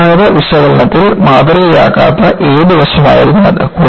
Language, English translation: Malayalam, What aspect was it, not model in the conventional analysis